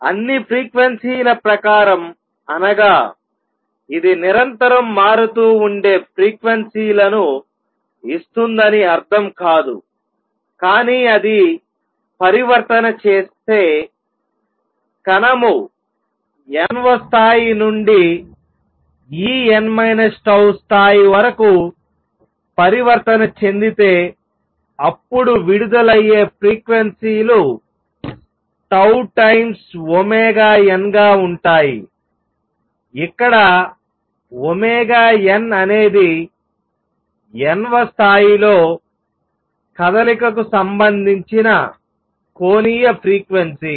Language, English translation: Telugu, By all frequency, we do not mean that it will give out frequencies which are continuously varying, but if it makes a transition; if the particle makes a transition from nth level to say E n minus tau level, then the frequencies emitted would be tau times omega n; right where omega n is the angular frequency related to motion in the nth level